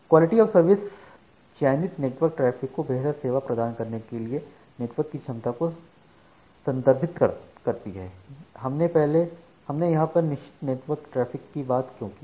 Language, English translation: Hindi, So, quality of service refers to the capability of a network to provide better service to selected network traffic why it is selected network traffic